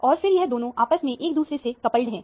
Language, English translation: Hindi, And then, these two are mutually coupled to each other